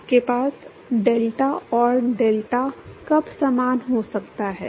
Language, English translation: Hindi, When can you have deltat and delta same